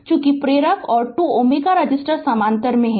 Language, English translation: Hindi, Since the inductor and the 2 ohm resistor are in parallel right